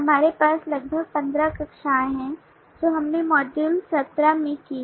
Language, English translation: Hindi, we have about 15 classes which we did in module 17